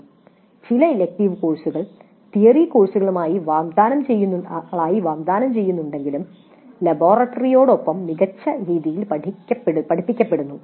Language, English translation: Malayalam, Some of the elective courses, even though they are offered as theory courses, are actually better taught along with the laboratory